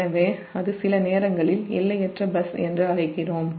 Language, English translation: Tamil, so that is the sometimes we call what is infinite bus